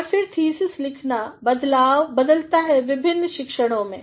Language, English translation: Hindi, And, then the writing of the thesis varies within different disciplines